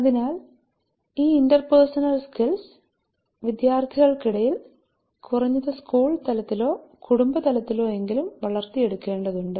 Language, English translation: Malayalam, So that needs to be built among students and at least the school level or family level